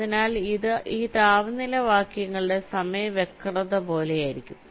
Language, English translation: Malayalam, so it will be something like this: temperature verses time curve